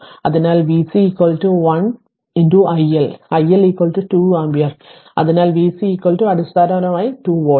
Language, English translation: Malayalam, So, v C is equal to 1 into i L right and i L is equal to 2 ampere therefore, v C is equal to basically 2 volt right